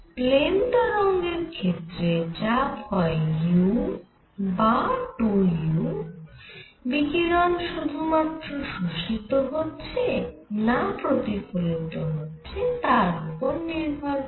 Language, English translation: Bengali, For plane waves pressure is u or 2 u depending on whether the radiation gets absorbed or it gets reflected, but now the answer you get is u by 3, alright